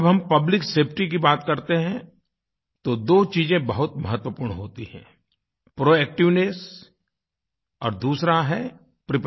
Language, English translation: Hindi, When we refer to public safety, two aspects are very important proactiveness and preparedness